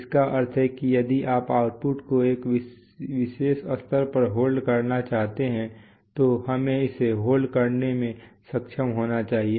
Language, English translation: Hindi, It means that if you want to hold a particular, hold the output at a particular level we should be able to hold it